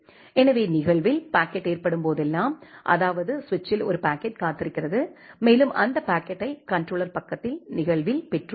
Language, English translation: Tamil, So, whenever our packet in event occurs; that means, a packet is waiting at the switch and you have received that packet in event at the controller side